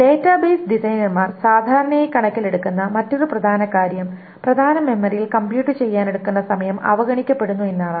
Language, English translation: Malayalam, One more important thing that the database design has generally taken to account is that the time to compute in the main memory is ignored